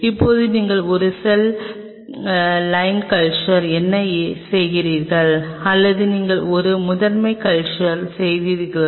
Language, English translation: Tamil, Now, whether you what doing a cell line culture or you are doing a primary culture